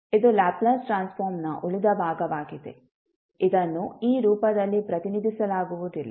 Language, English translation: Kannada, So, this is the reminder of the, the Laplace Transform, which is not represented in this particular form